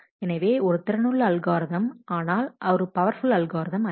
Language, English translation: Tamil, So, as an effective algorithm it is not that powerful